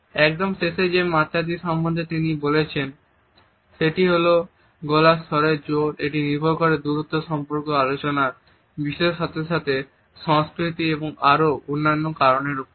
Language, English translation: Bengali, The last dimension he has talked about is related with the loudness of voice which is conditioned by the distance, the relationship, the subject under discussion as well as the culture and several other factors